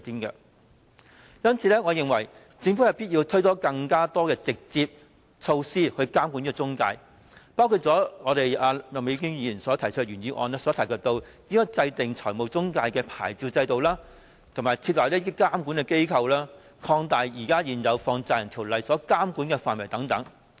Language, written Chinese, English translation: Cantonese, 因此，我認為政府有必要推行更多直接措施監管中介公司，包括麥美娟議員在原議案中提及的設立財務中介牌照制度、設立監管機構、擴大現行《放債人條例》的監管範圍等。, Therefore I think it is imperative for the Government to implement more measures for direct regulation of the intermediaries including the establishment of a licensing regime for financial intermediaries establishment of a regulatory body and expansion of the ambit of the existing Money Lenders Ordinance as mentioned in the original motion of Ms Alice MAK